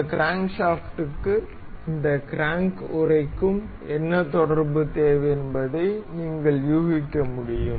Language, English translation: Tamil, You can just guess what relation does this crankshaft needs to have with this crank casing